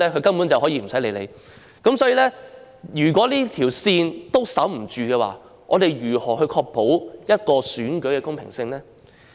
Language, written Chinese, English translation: Cantonese, 所以，如果連這條界線也守不住的話，試問我們又如何能確保選舉的公平性呢？, Therefore how can we ensure the fairness of the election if we cannot even defend this line?